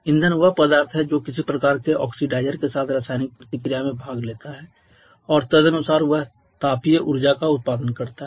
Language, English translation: Hindi, Fuel is thesubstance which participates in the chemical reaction is some kind of oxidizer and accordingly it produces some energy produces thermal energy